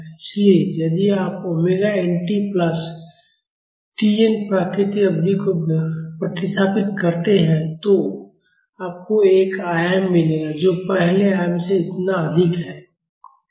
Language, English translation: Hindi, So, if you substitute omega n t plus T n the natural period, you will get an amplitude which is higher than the first amplitude by this much